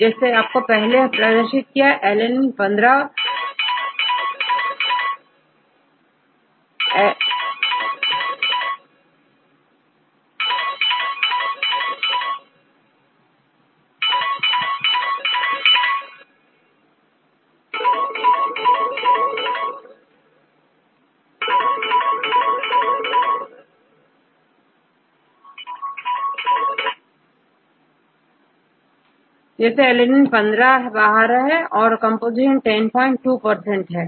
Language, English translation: Hindi, So, as say I showed earlier, alanine occurs 15 times and the composition is 10